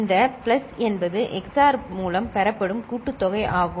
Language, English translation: Tamil, And this plus is the sum operation which is obtained through XOR